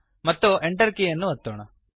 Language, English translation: Kannada, And press the Enter key